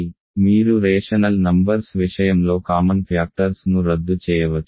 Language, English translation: Telugu, So, you can in the case of a rational numbers you can cancel common factors